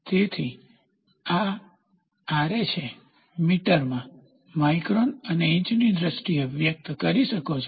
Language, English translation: Gujarati, So, this is Ra in terms of meters, microns and you can also express in terms of inches